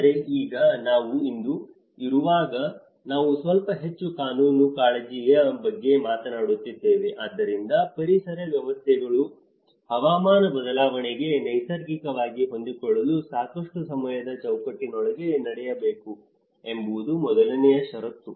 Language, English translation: Kannada, But now, when we are today we are talking a little more of a legal concern as well so, the number 1 condition that it should take place within a time frame sufficient to allow ecosystems to adapt naturally to climate change, this is where the time dimension